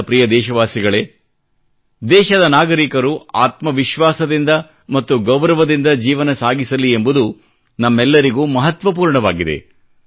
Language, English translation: Kannada, My dear countrymen, it is very important for all of us, that the citizens of our country become selfreliant and live their lives with dignity